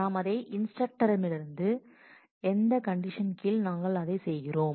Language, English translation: Tamil, The from is instructor and under what conditions are we doing that